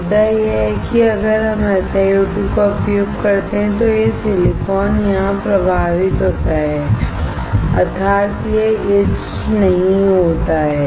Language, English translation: Hindi, The point is that if we use SiO2, this silicon here is affected, that is, it does not get etched